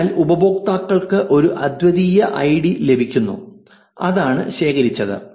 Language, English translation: Malayalam, So, the users get one unique id which is what was collected